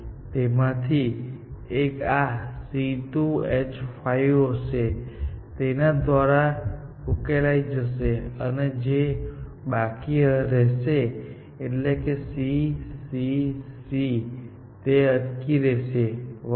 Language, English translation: Gujarati, One of them will be the C2 H5 with a bond, which will be solved by this; and the remaining will be that; whatever remains here; C, C, C, and so on